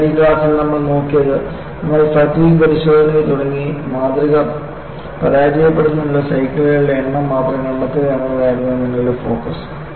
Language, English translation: Malayalam, So, in this class what we have looked at was, we started looking at the fatigue test and the focus was, you only find out the number of cycles for the specimen to fail; you do not take any note of how the crack propagates while you perform the test